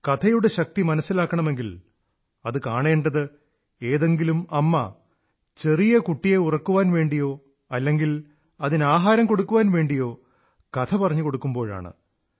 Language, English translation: Malayalam, If the power of stories is to be felt, one has to just watch a mother telling a story to her little one either to lull her to sleep or while feeding her a morsel